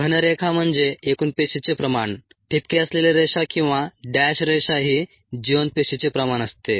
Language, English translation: Marathi, the solid line is a total cell concentration, the ah dotted line or the dash line, is the viable cell concentration